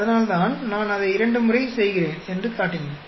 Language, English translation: Tamil, And that is why I showed if I am doing it twice